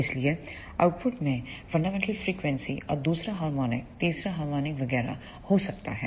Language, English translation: Hindi, So, the output could be containing the fundamental frequency and the second harmonic third harmonic etcetera